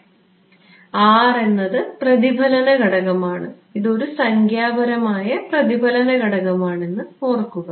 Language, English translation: Malayalam, So, R is the reflection coefficient and this is remember the numerical reflection coefficient right